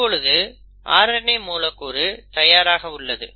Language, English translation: Tamil, So now you have the mRNA molecule which is ready